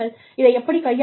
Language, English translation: Tamil, How do you manage it